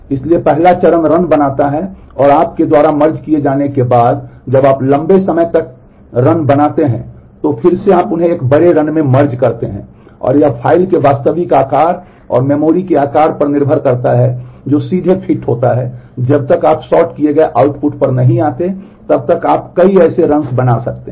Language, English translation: Hindi, So, the first step creates the runs and now after you have done merging once you get longer runs then again you merge them into a bigger run and depending on the on the actual size of the file and the size of the memory that directly fits in you might be doing multiple such runs till you get to the sorted output